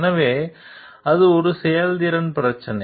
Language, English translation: Tamil, So, that is the performance issue